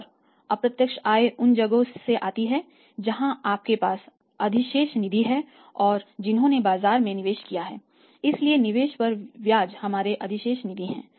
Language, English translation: Hindi, And indirect incomes come from where say if you have surplus funds have invested those in the market so interest on the investment this is a one